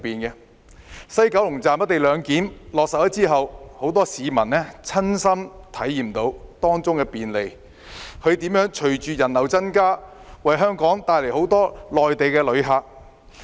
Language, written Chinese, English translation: Cantonese, 在西九龍站落實"一地兩檢"後，很多市民親身體驗到當中的便利；隨着人流增加，亦為香港帶來很多內地旅客。, After the implementation of the co - location arrangement at the West Kowloon Station many people have gained first - hand experience of the convenience it brings . With more and more people using the station it has also attracted many Mainland tourists to Hong Kong